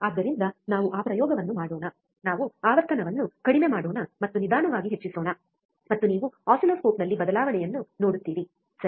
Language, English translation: Kannada, So, let us do that experiment, let us bring the frequency low and let us increases slowly, and you will see on the oscilloscope the change, alright